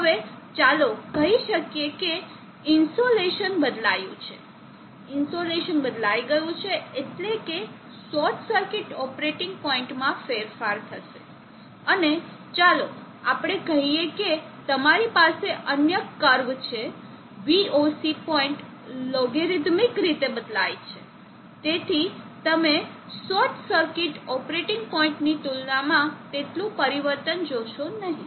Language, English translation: Gujarati, Now let us say the insulation of change, insulation of change means there will be a change in the short circuit operating point, and let us say you have another cup, the VOC point where is logarithmically, so you will not see that much of change has compared to the short circuit operating point